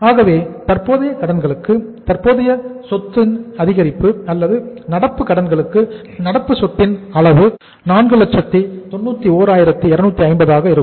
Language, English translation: Tamil, So what is the excess of current asset to current liabilities or current asset over current liabilities that amount will work out as 491,250